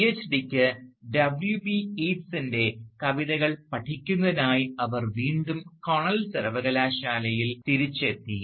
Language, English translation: Malayalam, For her PhD, she again returned to Cornell university, to work on the poetry of W B Yeats and she worked under the supervision of Paul De Mann